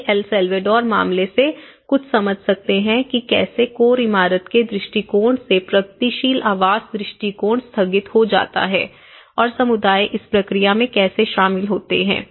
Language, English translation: Hindi, So, these are some of the understanding from the El Salvador case and how it slightly deferred from the cold core building approach to a progressive housing approach and how communities are involved in the process of it